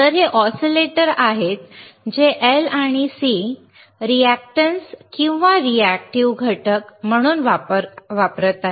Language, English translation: Marathi, So, these are the oscillator that are using L and C as reactances or reactive components these are reactive components